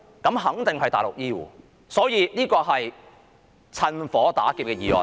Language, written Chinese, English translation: Cantonese, 那肯定是內地的醫護，所以這是"趁火打劫"的議案。, It is definitely the healthcare workers from the Mainland . Hence this is a motion looting a burning house